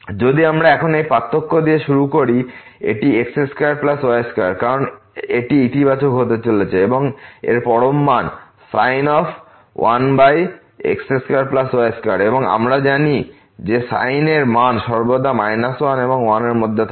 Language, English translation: Bengali, If we start with this difference now, this is square plus square because this is going to be positive and the absolute value of sin 1 over x square plus y square and we know that that this value of sin always lies between minus 1 and 1